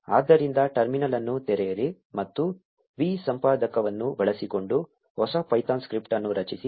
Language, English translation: Kannada, So open the terminal and create a new python script using the vi editor